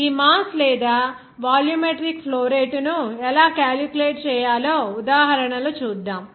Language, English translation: Telugu, Before going to that, let us have an example of this mass or volumetric flow rate on how to calculate